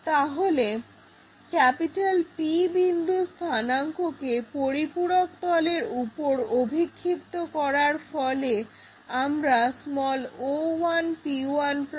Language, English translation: Bengali, So, the coordinates of this P point which is projected onto auxiliary planar giving us o1 p1'